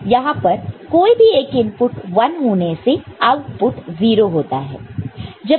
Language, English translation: Hindi, So, in this case any of the input is 0 output is 1